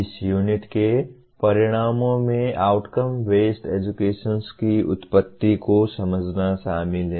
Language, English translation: Hindi, The outcomes of this unit include understand the origins of outcome based education